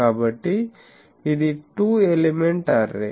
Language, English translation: Telugu, So, this is a two element array